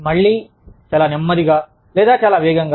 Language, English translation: Telugu, Again, too slow or too fast